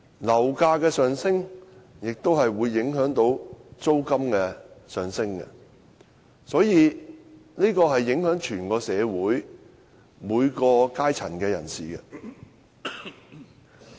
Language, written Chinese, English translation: Cantonese, 樓價上升也會影響租金上升，會影響整體社會每個階層的人士。, Rising property prices lead to rising rents and consequently people from various strata of society are affected